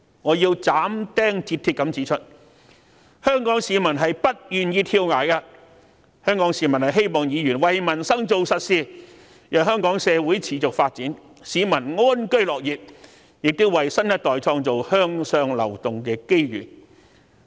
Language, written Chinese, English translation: Cantonese, 我要斬釘截鐵地指出，香港市民是不願意跳崖的，香港市民希望議員為民生做實事，讓香港社會持續發展，市民安居樂業，亦要為新一代創作向上流動的機遇。, I must state categorically that the people of Hong Kong do not want to jump off the cliff . The people of Hong Kong expect Members to do concrete things for peoples livelihood . As such Hong Kong can develop sustainably people can live and work in contentment and opportunities for upward mobility can be created for the new generation